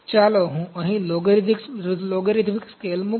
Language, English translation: Gujarati, Let me put a logarithmic scale here